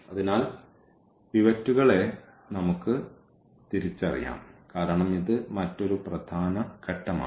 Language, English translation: Malayalam, So, let us identify the pivots because that is another important step